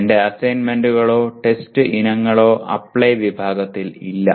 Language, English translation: Malayalam, My assignments or test items are not in the Apply category